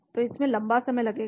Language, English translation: Hindi, So it will take a long time